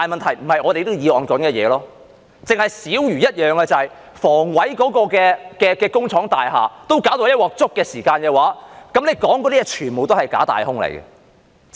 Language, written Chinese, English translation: Cantonese, 只是小如一件事，就是房委會的工廠大廈都搞到"一鑊粥"的時候，你們說的全都是假大空。, When a trivial problem with HA factory estates is handled in such a messy way what you are talking about is all false and empty